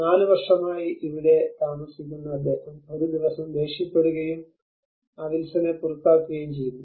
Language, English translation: Malayalam, He lives here for 4 years and then one day he gets angry and he throws out that Wilson out